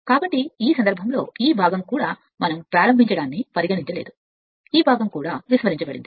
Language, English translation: Telugu, So, in that case this part is also we have not considered start this is this part is also neglected